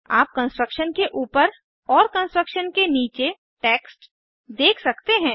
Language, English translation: Hindi, You can notice the text above the construction as well as below the construction